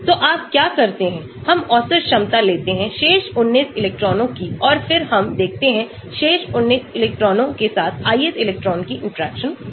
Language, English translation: Hindi, So, what you do is; we take the average potential of remaining 19 electrons and then we look at the interaction of the ith electron with the remaining 19 electrons